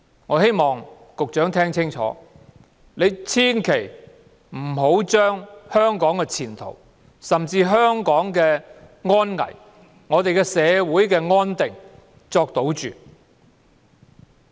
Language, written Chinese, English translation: Cantonese, 我希望局長聽清楚，千萬不要把香港的前途、安危和社會的安定作賭注。, I hope that the Secretary can listen carefully that you should not gamble with the future safety and social stability of Hong Kong